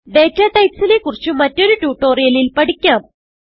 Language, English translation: Malayalam, We will learn about data types in another tutorial